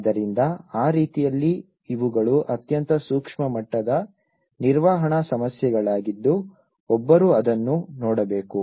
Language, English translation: Kannada, So, in that way, these are a very micro level management issues one has to look at it